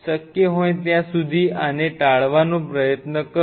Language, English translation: Gujarati, Try to avoid this as much as you can